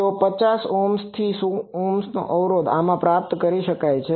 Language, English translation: Gujarati, So, 50 Ohm to 100 Ohm impedance can be achieved from this